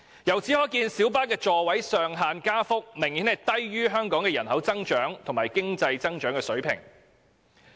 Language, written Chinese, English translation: Cantonese, 由此可見，小巴座位上限的加幅明顯低於香港人口增長及經濟增長的水平。, Hence it is well evident that the increase in the maximum seating capacity of light buses lags far behind the population growth and economic development